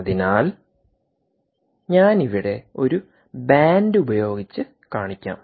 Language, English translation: Malayalam, so i will show it with a band here